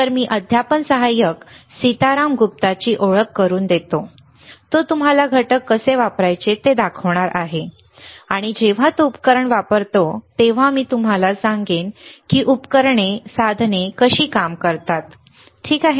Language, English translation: Marathi, So, let me introduce the teaching assistant, Sitaram Gupta, he will be showing you how to use the components, and as and when he is using the devices or using the equipment, I will tell you how the equipment works how you can use the devices, all right